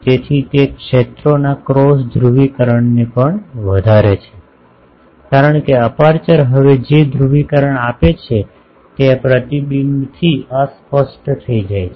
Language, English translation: Gujarati, So, that also increases the cross polarisation of the fields because, whatever polarisation the aperture has given now that gets disoriented by this reflection